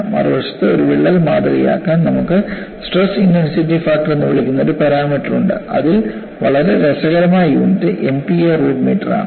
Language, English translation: Malayalam, On the other hand, to model a crack, you have a parameter called stress intensity factor, which has a very funny unit MP a root meter